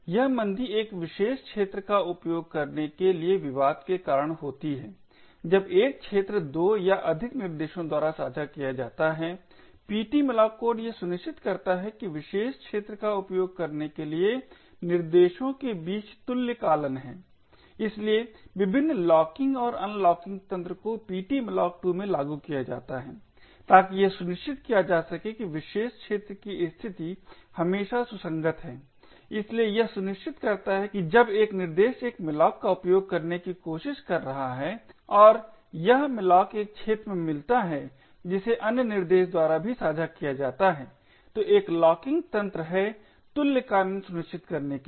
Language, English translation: Hindi, This slowdown is caused due to the contention for using a particular arena when a single arena is shared by 2 or more threads the ptmalloc code ensures that there is synchronisation between the threads in order to use the particular arena, so a various locking and unlocking mechanisms are implemented in ptmalloc2 to ensure that the state of the particular arena is always consistent, so it ensures that when one thread is trying to use a malloc and that malloc falls in an arena which is also shared by other thread then there is a locking mechanism to ensure synchronisation